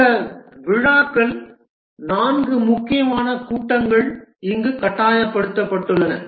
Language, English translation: Tamil, The ceremonies, these are the meeting, there are four important meetings that are mandated here